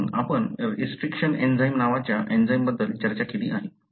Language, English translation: Marathi, So, we have discussed about an enzyme called restriction enzyme